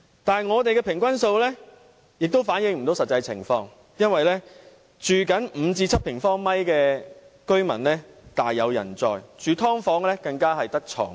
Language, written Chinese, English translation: Cantonese, 但是，我們的平均數亦反映不到實際情況，因為只住5至7平方米的大有人在，而住"劏房"的更只有一張床位。, The reason is that many people can merely live in a place of only 5 - 7 sq m large and occupants of sub - divided units can only dwell in mere bed - spaces